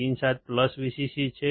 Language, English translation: Gujarati, Pin 7 is plus VCC